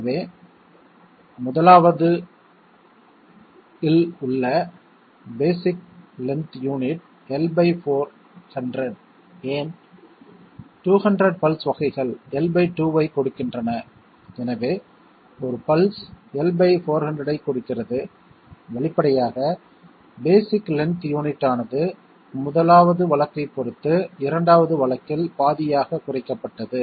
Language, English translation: Tamil, Therefore, the basic length unit in the 1st was L by 400 why, 200 pulses giving L by 2 therefore, one pulse giving L by 400, obviously, the basic length unit is half in the 2nd case with respect to the 1st case because it is becoming L by 800 from L by 400, is it one of the options